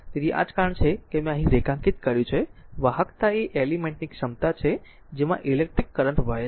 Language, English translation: Gujarati, So, this is that that is why I have underlined here, the conductance is the ability of an element your what you call to conduct electric current